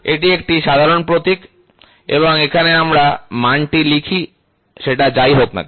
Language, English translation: Bengali, So, this is a typical symbol and here we write down the magnitude value whatever it is, ok